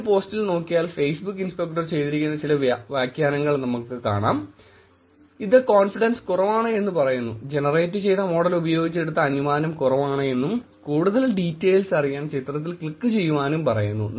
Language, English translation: Malayalam, In this post if you see, there is some annotation done by the Facebook inspector, it says confidence is low, the decision that was made with the model that was generated is low and it is using features, click on the image for more details